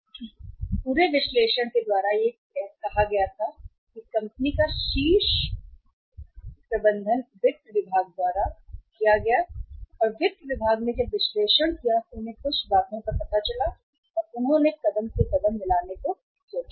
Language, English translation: Hindi, So that entire analysis was asked to be done by the company’s top management by the finance department and when the finance department did the analysis they found out certain things that yes they move they thought of moving step by step